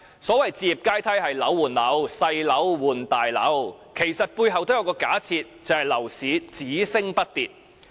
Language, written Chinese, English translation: Cantonese, 所謂"置業階梯"是樓換樓、細樓換大樓，其實背後都有一個假設，就是樓市只升不跌。, The so - called housing ladder which means flat - for - flat and trading in a smaller flat for a bigger one is actually based on one assumption that property prices will only go up